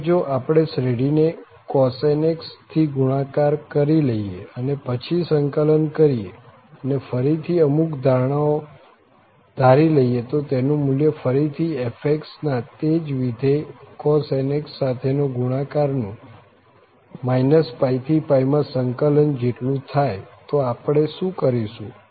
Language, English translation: Gujarati, Next, what we do that if we multiply the series by cos nx and then integrate and assuming again some assumption that its value is equal to the integral of again the fx multiplied by same function cos nx over this minus pi to pi